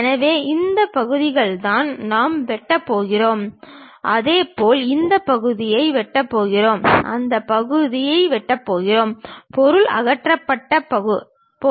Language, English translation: Tamil, So, these are the portions what we are going to cut and similarly we are going to cut this part, cut that part, material is going to get removed